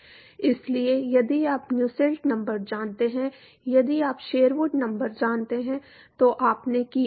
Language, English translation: Hindi, So, if you know Nusselt number, if you know Sherwood number you done